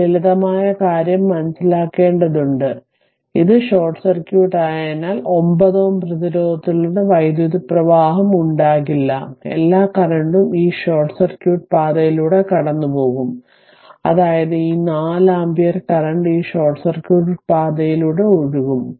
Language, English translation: Malayalam, So, there will be no current through 9 ohm resistance all current will go through this short circuit path, that means this 4 ampere current will flow through this short circuit path